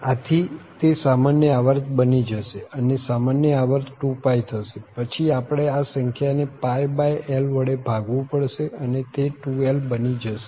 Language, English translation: Gujarati, So, that is going to be the common period, so common period will be 2 pi and then we have to divide by this pi by l number this number pi by l so the 2l